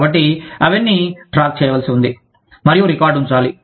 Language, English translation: Telugu, So, all of that has to be tracked, and kept a record of